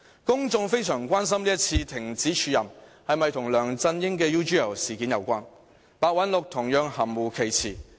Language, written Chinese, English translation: Cantonese, 公眾非常關心這次停止署任是否跟梁振英的 UGL 事件有關，白韞六同樣含糊其辭。, The public are gravely concerned about whether the termination of the acting appointment was connected with LEUNG Chun - yings involvement in the UGL incident